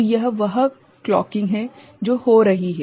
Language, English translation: Hindi, So, that is the clocking that is happening, right